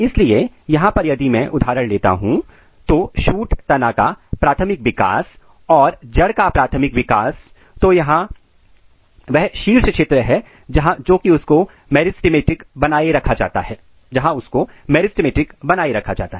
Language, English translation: Hindi, So, if I take few example two example here, so this is shoot primary development and this is root primary development and here is the region where meristem is maintained